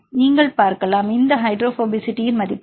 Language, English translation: Tamil, So, you can see the; this is the hydrophobicity values